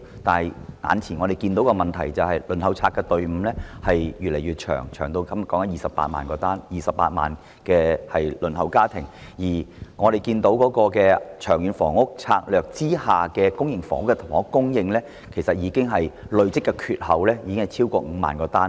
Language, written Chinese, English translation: Cantonese, 但我們看到眼前的問題是公屋輪候冊的隊伍越來越長，現時共有28萬戶輪候家庭，而《長遠房屋策略》下公營房屋供應的累積短缺已超過5萬個單位。, But the problem we see right now is the lengthening Waiting List for Public Rental Housing PRH . There are now in total 280 000 households waitlisted for PRH while the accumulated shortfall in public housing supply under the Long Term Housing Strategy has exceeded 50 000 flats